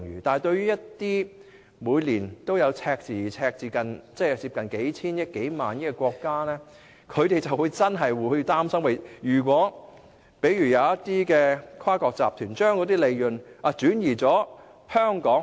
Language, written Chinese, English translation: Cantonese, 但是，對於一些每年也出現赤字，而赤字接近數千億元或數萬億元的國家，便真的會擔心一些跨國集團會把利潤轉移往香港。, However those countries with annual deficits of several hundred or even several thousand billion dollars may really fear that multinational enterprises may shift their profits to Hong Kong